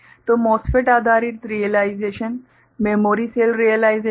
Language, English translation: Hindi, So, the MOSFET based realization, the memory cell realization